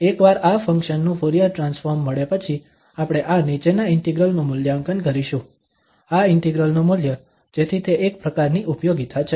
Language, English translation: Gujarati, Once we get the Fourier transform of this function, we will evaluate this following integral, the value of this integral so that is a kind of application